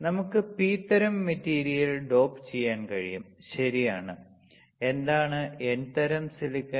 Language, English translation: Malayalam, We can dope the P type material, right; this is N type silicon